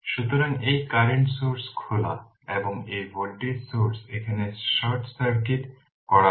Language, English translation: Bengali, So, this current source is open and this voltage source here it is short circuited right